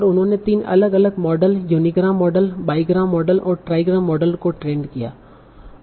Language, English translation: Hindi, And they trained three different models, unigram model, bigram model and trigram model